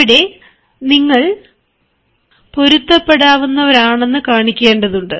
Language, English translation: Malayalam, there you need to show that you are adaptable